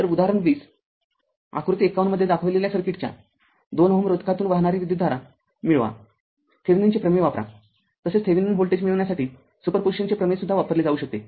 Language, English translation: Marathi, So, example 20 obtain the current in 2 ohm resistor of the circuit shown in figure 51, use Thevenin’s theorem also super position also you will use to get the Thevenin voltage